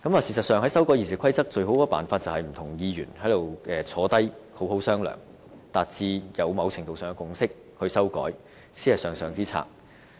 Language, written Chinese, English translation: Cantonese, 事實上，在修改《議事規則》方面，最佳方法就是不同議員坐下來一起好好商量，達致某程度上的共識才修改，這才是上上之策。, I think the best way is for the two camps to sit down and fully discuss the matter and any amendments to RoP should be proposed only after they can reach some sort of consensus